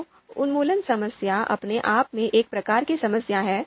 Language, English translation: Hindi, So the elimination problem is a type of sorting problem itself